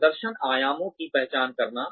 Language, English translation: Hindi, Identifying performance dimensions